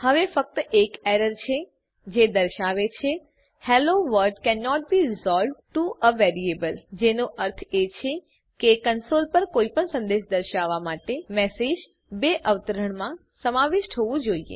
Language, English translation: Gujarati, their is only one error now which says hello world cannot be resolved to a variable, which means to display any message on the console the message has to be included in double quotes